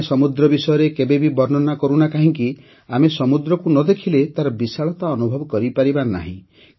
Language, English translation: Odia, No matter how much someone describes the ocean, we cannot feel its vastness without seeing the ocean